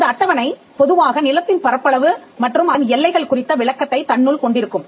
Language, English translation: Tamil, The schedule normally has the description of the land the extent of it and the boundaries of it